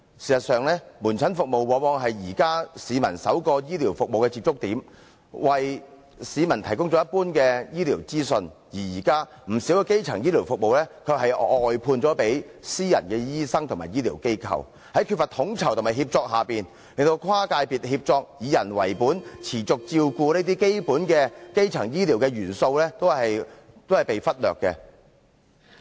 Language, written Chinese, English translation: Cantonese, 事實上，門診服務往往是現時市民首個醫療服務的接觸點，為市民提供一般的醫療資訊，而現時，不少基層醫療服務卻是"外判"予私人醫生和醫療機構，在缺乏統籌和協作下，令跨界別協作、以人為本、持續照顧這些基本的基層醫療元素均被忽略。, As a matter of fact outpatient services are usually the first point of contact in the health care system for the public who will be provided with some general health care information . But under the current practice not a few primary health care services are outsourced to private doctors and health care institutions . In the lack of coordination and collaboration the basic primary health care elements of cross - sector collaboration people orientation and continuum of care are all being neglected